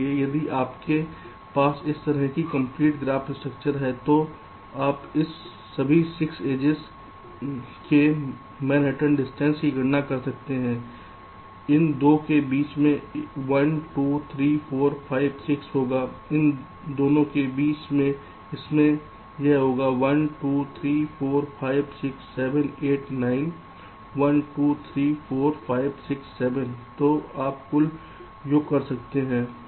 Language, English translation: Hindi, so if you have a complete graph structure like this so you can make a calculation of the manhattan distance of all this, six edges, say, between these two it will be one, two, three, four, five, six